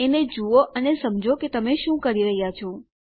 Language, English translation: Gujarati, Look at them and realize what are you doing